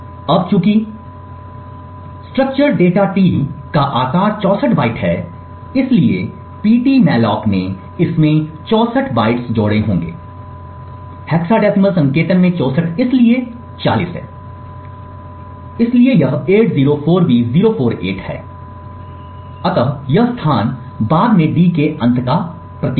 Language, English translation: Hindi, Now since the size of struct data T is 64 bytes, so therefore the Ptmalloc would have added 64 bytes to this, so 64 in hexadecimal notation is 40, so this is 804B048, so this location onwards signifies the end of d